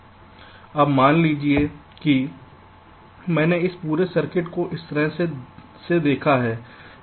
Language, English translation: Hindi, now, suppose this entire circuit i have in a scenario like this